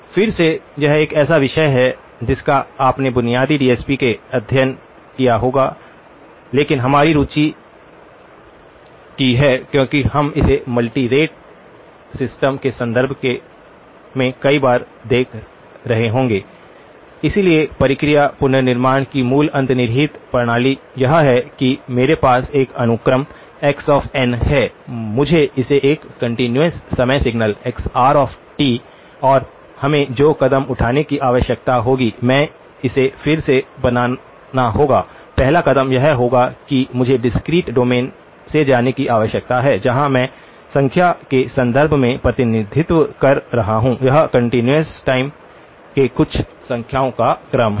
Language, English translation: Hindi, Again, it is a subject that you would have studied in basic DSP but our interest is to (()) (18:54) of this because we will be looking at it multiple times in the context of multi rate system, so the process of reconstruction so the basic underlying system is that I have a sequence x of n, I must reconstruct it into a continuous time signal, xr of t and the steps that we would need to take, the first step is going to be that I need to go from the discrete domain, where I am representing in terms of numbers, it is a sequence of numbers to something in the continuous time